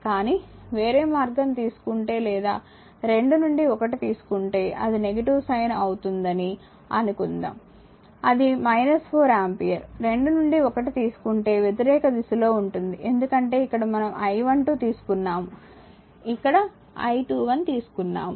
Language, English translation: Telugu, But if you take other way or suppose if you take 2 to 1 that it will just negative sine, it will be minus 4 ampere, if you take 2 to 1, just reversal of the your what you call the direction because here we have taken I 12 here we have taken I 21